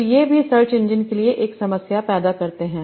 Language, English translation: Hindi, So this also created a problem for the search engines